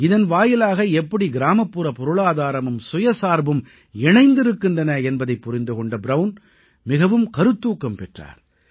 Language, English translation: Tamil, Brown was deeply moved by the way khadi was intertwined with the rural economy and self sufficiency